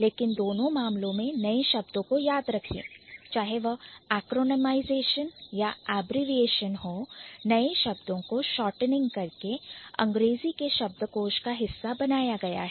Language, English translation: Hindi, But remember in both cases the new words, whether it is acronymization or abbreviation, the new words have been made a part of the English lexicon by kind of shortening it